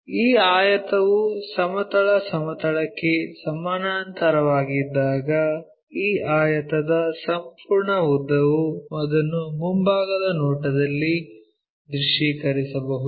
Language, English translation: Kannada, When this rectangle is parallel to horizontal plane, the complete length of this rectangle one can visualize it in the front view